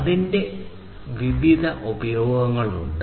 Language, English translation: Malayalam, So, there are different uses of it